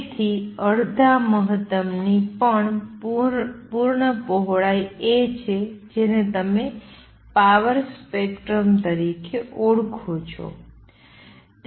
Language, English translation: Gujarati, So, A is also full width at half maximum of what you known as power spectrum